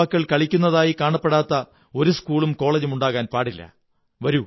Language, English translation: Malayalam, There should not be a single schoolcollege ground in India where we will not see our youngsters at play